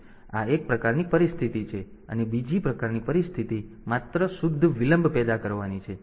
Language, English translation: Gujarati, So, this is one type of situation, another type of situation is just to produce pure delay